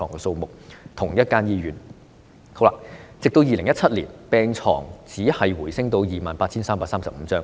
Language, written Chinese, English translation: Cantonese, 直至2017年，病床數目只是回升至 28,335 張。, As at 2017 the number of hospital beds was merely increased to 28 335